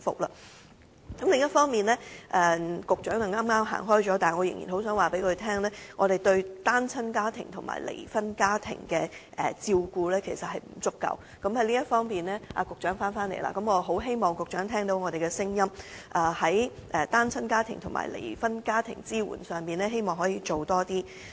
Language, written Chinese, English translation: Cantonese, 另一方面——局長剛剛離席——我想告訴他，我們對單親家庭和離婚家庭的照顧不足——局長回來了——我希望局長聽到我們的聲音，在單親家庭和離婚家庭的支援方面，政府可以多下工夫。, In the meanwhile―the Secretary has just left his seat―I wish to tell him that our care for single - parent families and divorced families is inadequate―the Secretary has returned―I hope the Secretary can hear our voices and the Government can step up its efforts in providing support for single - parent families and divorced families